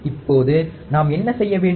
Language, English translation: Tamil, Now, what do we have to do